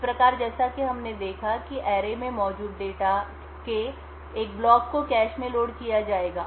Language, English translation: Hindi, Thus, as we seen before one block of data present in array would be loaded into the cache